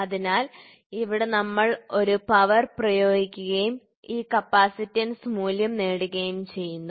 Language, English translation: Malayalam, So, here we apply a power and get this capacitance value